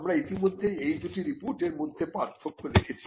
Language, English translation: Bengali, We had already brought out the distinction between these 2 reports